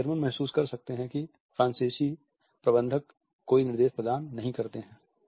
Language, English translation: Hindi, While Germans can feel that the French managers do not provide any direction